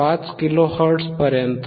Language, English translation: Marathi, 5 kilo hertz above 1